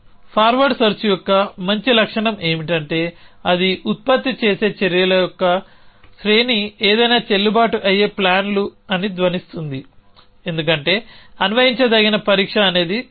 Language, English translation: Telugu, The good feature of forward search is that it is sound that whatever acts sequence of actions it produces are valid plans, because the applicability test is the sound